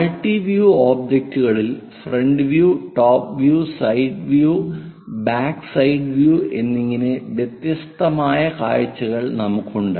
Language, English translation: Malayalam, In multi view objects we have different views like front, top, side, perhaps from backside and many views available